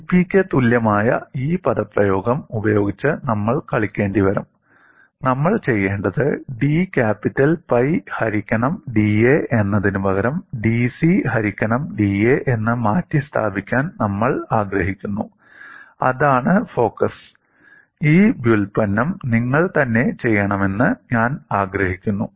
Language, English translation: Malayalam, We will have to play with this expression v equal to C P, and what we want to do is, instead of d capital pi by da, we would like to replace it in terms of dC by da; that is the focus, and I would like you to do this derivation yourself